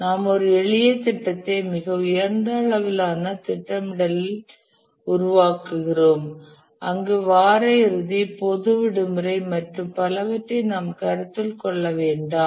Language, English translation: Tamil, The idea is that at a very high level scheduling we make a simpler plan where we don't take into consider weekends, public holidays and so on